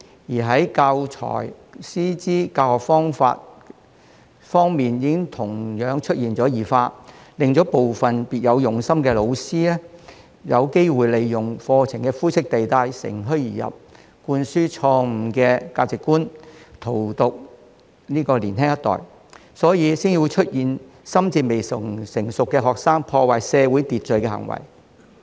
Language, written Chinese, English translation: Cantonese, 此外，教材、師資及教學方法方面亦同樣出現異化，令部分別有用心的老師有機會利用課程的灰色地帶乘虛而入，灌輸錯誤的價值觀，荼毒年輕一代，所以才會出現心智未成熟的學生破壞社會秩序的行為。, Furthermore morbid changes have taken place in teaching materials teachers qualifications and teaching methods giving some teachers with ulterior motives the opportunity to take advantage of the grey areas in the curriculum to instill wrong values to and poison the younger generation . This has prompted some students who are mentally immature to commit acts that disrupt social order